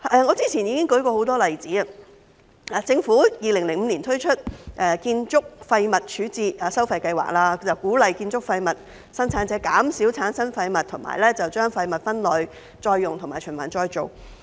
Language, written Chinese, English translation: Cantonese, 我早前已舉出多個例子，政府在2005年推出建築廢物處置收費計劃，鼓勵建築廢物生產者減少產生廢物，並把廢物分類、再用和循環再造。, I have cited a number of examples earlier . In 2005 the Government introduced the Construction Waste Disposal Charging Scheme to encourage construction waste producers to reduce sort and recycle construction waste